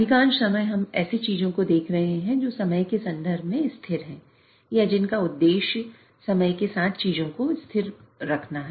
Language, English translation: Hindi, Most of the times we are looking at things which are steady in terms of time or the objective is to make keep the things steady with respect to time